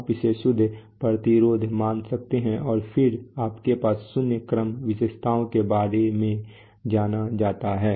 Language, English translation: Hindi, That you can just assume it to be a to be a pure resistance and then you have what is known as a zero order characteristics